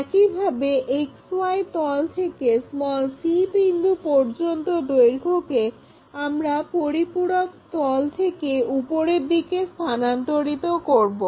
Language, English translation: Bengali, Similarly, the point c from the plane XY, we will transfer it from that auxiliary plane all the way to up